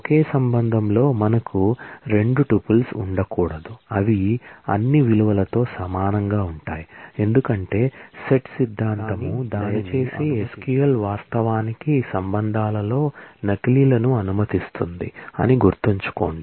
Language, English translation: Telugu, We cannot have 2 tuples in the same relation, which are identical in all it is values, because set theory does not allow that, but please keep in mind that SQL actually allows duplicates in relations